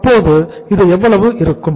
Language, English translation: Tamil, So this will be how much